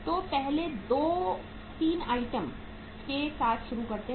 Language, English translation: Hindi, So let us start with the first two uh 3 items